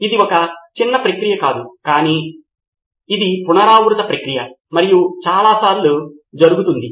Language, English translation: Telugu, It is not a one short process but it is an iterative process and happens many times over